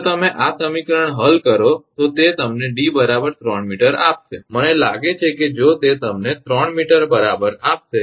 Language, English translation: Gujarati, If you solve this equation it will give you D is equal to I think exactly 3 meter it will give you if